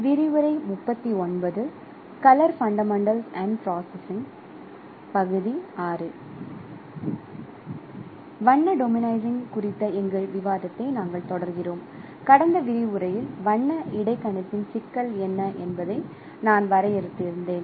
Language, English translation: Tamil, We continue our discussion on color demosaking and in the last lecture I have defined what is the problem of colored interpolation